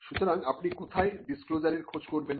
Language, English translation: Bengali, So, where do you look for a disclosure